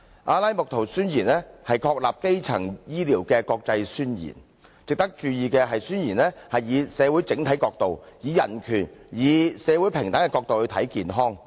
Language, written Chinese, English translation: Cantonese, 《阿拉木圖宣言》是確立基層醫療的國際宣言，值得注意的是宣言以社會整體角度、以人權及社會平等的角度來看健康。, The Declaration of Alma - Ata is an international declaration that establishes primary health care . What we need to pay attention is that the Declaration looks at health from the perspective of society as a whole and from the perspective of human rights and social equality